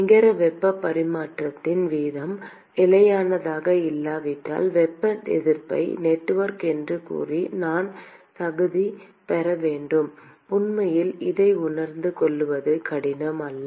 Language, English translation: Tamil, I should qualify by saying thermal resistance network if the net heat transfer rate is not constant; and in fact, it is not difficult to realize this